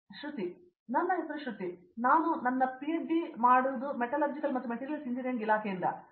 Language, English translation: Kannada, My name is Shruthi, I am from the Department of Metallurgical and Materials Engineering doing my PhD